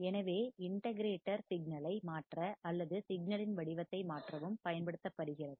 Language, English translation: Tamil, So, again the integrator is also used to change the signal or change the shape of the signal